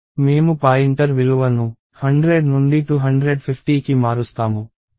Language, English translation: Telugu, So, let us say I change the pointer value from 100 to 250